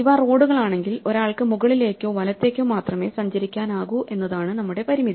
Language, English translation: Malayalam, If these are roads the constraint that we have is that one can only travel up or right